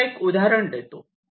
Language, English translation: Marathi, lets take an example like this